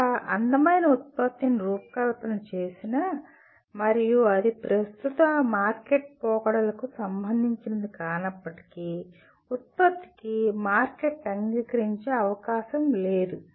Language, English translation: Telugu, Even if one designs a beautiful product and it is not relevant to the current market trends, the product has no chance of getting accepted by the market